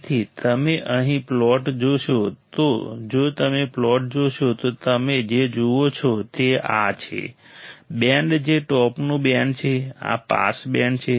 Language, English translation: Gujarati, So, you see here the plot if you see the plot what you see is this, is the band which is top band, this is the pass band